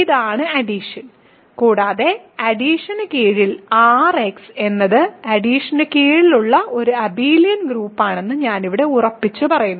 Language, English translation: Malayalam, So, this is the addition and I will simply assert here that under addition R[x] is an abelian group under addition ok